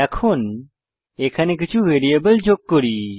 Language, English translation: Bengali, Now Let us add some variables